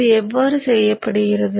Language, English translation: Tamil, So this is regulated